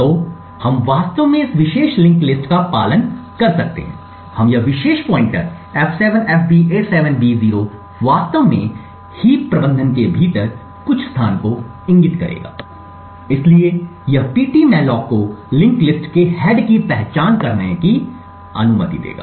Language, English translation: Hindi, So, we could actually follow this particular linked list, we would start from here now this particular pointer f7fb87b0 would actually point to some location within the heap management, so this would permit ptmalloc to identify the head of the linked list